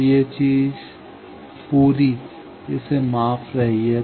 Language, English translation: Hindi, So, this whole thing it is measuring